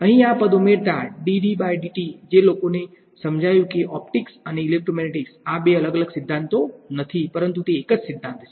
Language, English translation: Gujarati, Adding this term over here, this d D by dt is what led to people realizing that optics and electromagnetics; these are not two different theories, but the same theory